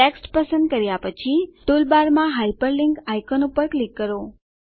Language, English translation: Gujarati, After selecting the text, click on the Hyperlink icon in the toolbar